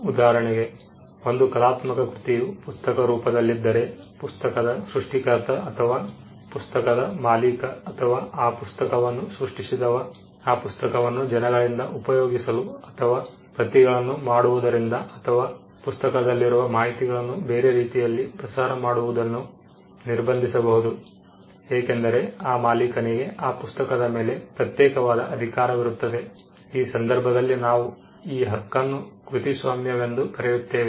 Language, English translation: Kannada, For instance, if there is an artistic work in the form of a book, then the creator of the book or the person who owns the book or who created the book could stop other people from using that book from making copies of that book from disseminating information from the book by different ways, because he has an exclusive right over it, in this case we call that right of copyright